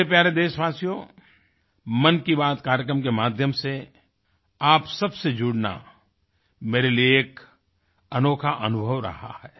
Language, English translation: Hindi, My dear countrymen, connecting with all of you, courtesy the 'Mann KiBaat' program has been a really wonderful experience for me